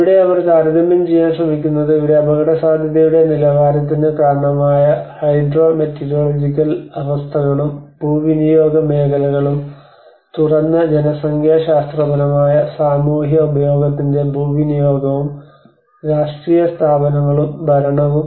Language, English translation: Malayalam, Like, that is where they try to compare, like in the factors underlying the level of risk here the Hydrometeorological conditions and the catchment the land use areas and what are the land use of exposed demographic social and political institutions and the governance